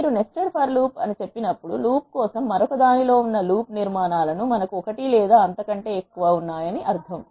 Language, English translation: Telugu, When you say nested for loop it means we have one or more for loop constructs that are located within another for loop